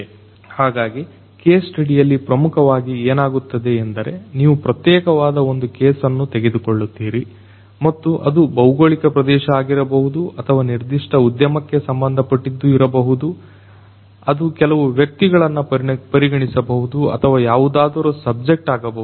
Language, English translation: Kannada, So, in a case study basically you know what happens is you pick up a particular case which could be a geographical area or maybe you know it may concern a particular industry, it may consider a few individuals or whatever be the subject